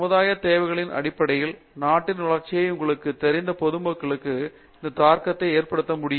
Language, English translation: Tamil, Has it also made an impact on the general you know development of the country in terms of the societal needs